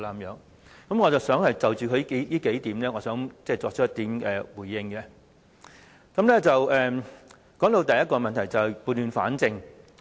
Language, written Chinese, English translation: Cantonese, 因此，我想就他的發言內容作出回應，當中談到的第一個問題，就是要撥亂反正。, Hence I wish to respond to him . The first point I wish to say is about setting things right